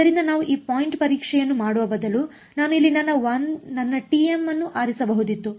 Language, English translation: Kannada, So, we could instead of doing this point testing, I could have chosen my t m over here